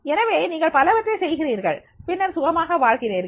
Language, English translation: Tamil, So, you are doing so many things and then you are living comfortably